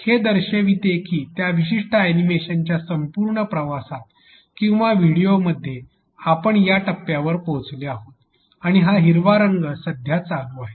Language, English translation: Marathi, It shows that during the entire journey of that particular animation or a video we have reached up to this point and this green is currently going on